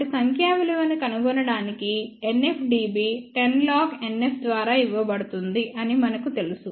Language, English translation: Telugu, So, to find the numeric value we know that NF dB is given by 10 log NF